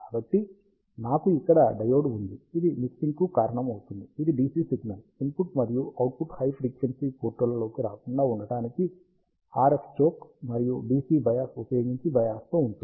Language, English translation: Telugu, So, I have a diode here which causes the mixing, which is biased using an RF choke and a DC bias to avoid the DC signal to flow into the input and output high frequency ports